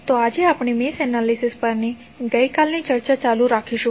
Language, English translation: Gujarati, So, today we will continue our yesterday’s discussion on Mesh Analysis